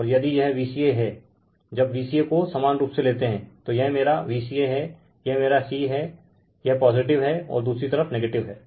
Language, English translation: Hindi, And if it is V a b could V b c and if it is V c a, when you take V c a, this is my V c a, so this is my c this is positive right, and another side is negative